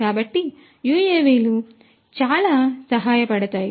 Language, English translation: Telugu, So, UAVs are very helpful